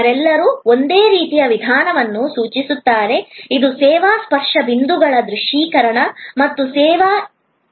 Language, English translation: Kannada, They all kind of connote the same approach, which is visualization of the service touch points and the service flow